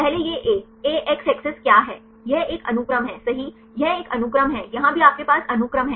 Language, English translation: Hindi, First this is a; what is a x axis, this is a sequence right this is a sequence here also you have the sequence